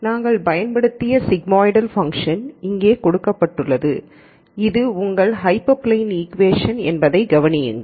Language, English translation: Tamil, And the sigmoidal function that we used is given here and notice that this is your hyperplane equation